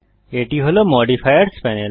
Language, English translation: Bengali, This is the Modifiers panel